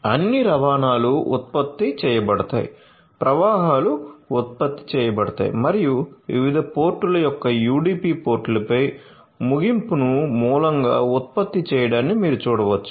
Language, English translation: Telugu, So, all the traffics are generated the flows are generated and you can see the finish on UDP ports of different ports are generated took has source